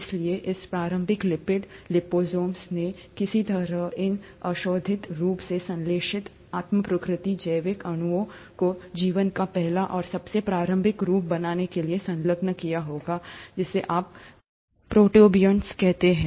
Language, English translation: Hindi, So these initial lipid liposomes would have somehow enclosed these abiotically synthesized self replicating biological molecules to form the first and the most earliest form of life, which is what you call as the protobionts